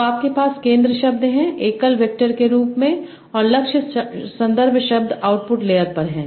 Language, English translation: Hindi, So you have the center word as a single input vector and the target context words are at the output layer